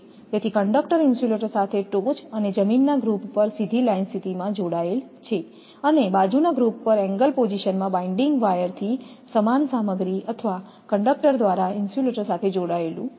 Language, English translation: Gujarati, So the conductor is tied to the insulator on the top group on straight line position and side group in angle position by annual binding wire of the same material or as conductor